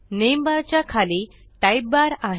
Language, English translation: Marathi, Below the name bar is the type bar